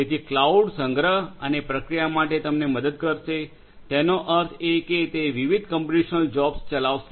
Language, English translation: Gujarati, So, cloud will help you for storage and for processing; that means, running different computational jobs